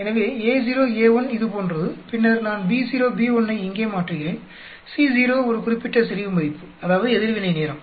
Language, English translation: Tamil, So, A naught, A1 like this; then I am changing B naught, B naught here and B1 here, at one particular concentration value of C naught that is reaction time